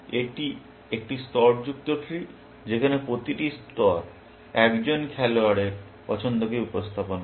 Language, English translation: Bengali, It is a layered tree where, each layer represents the choice for one player